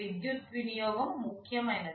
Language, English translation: Telugu, Power consumption, this is important